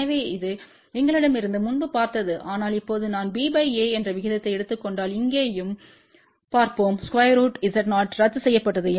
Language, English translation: Tamil, So, which is b by a we had seen earlier but now, let us just look at over here also if I take the ratio of b divided by a square root Z 0 will get cancelled